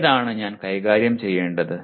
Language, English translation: Malayalam, Which one should I deal with